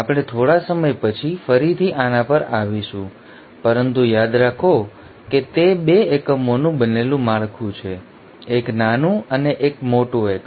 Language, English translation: Gujarati, We will come to this little later again but remember it is a structure made up of 2 units, a small and large unit